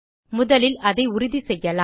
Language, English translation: Tamil, Let me confirm it once